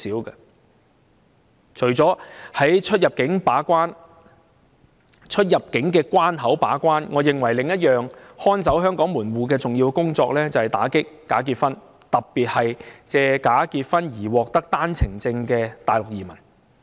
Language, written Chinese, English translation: Cantonese, 而除了在出入境口岸把關外，我認為另一項看守香港門戶的重要工作，就是打擊假結婚，特別是藉假結婚獲取單程證的大陸移民。, Apart from watching over the boundary control points another important task for Hong Kongs gatekeeper is combating bogus marriages particularly cases involving Mainland immigrants obtaining One - way Permits through bogus marriages